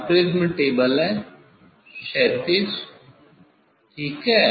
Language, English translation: Hindi, now, prism table are is horizontal fine